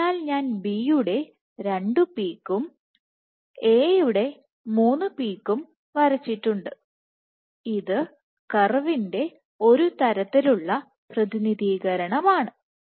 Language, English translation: Malayalam, So, I have drawn 2 of B let say and 3 of A, this is one representative curve